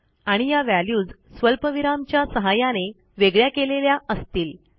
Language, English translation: Marathi, And these values will be separated by commas